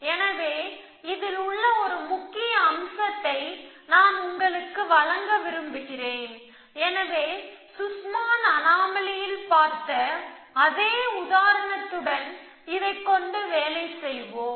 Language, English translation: Tamil, So, I want to give you a flavor of this, so let us search work with this, with this same example that we are looking at the Sussman’s anomaly